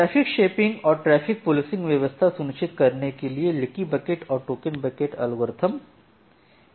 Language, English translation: Hindi, So, this is all about leaky bucket and the token bucket algorithm in details for ensuring traffic shaping and traffic policing